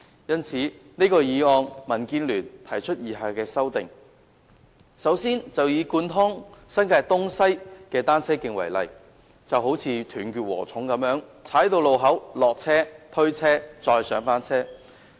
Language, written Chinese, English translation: Cantonese, 因此，就這項議案，民建聯提出以下的修訂：首先，以貫通新界東西的單車徑為例，單車徑像"斷截禾蟲"一樣，每到達路口便要下車、推車、再上車。, In this connection DAB has proposed the following amendments to the motion First take the cycle tracks connecting eastern and western New Territories as an example . The cycle tracks are fragmented in a way that when a cyclist reaches a road junction he has to get off his bike push it across the road and then get on his bike again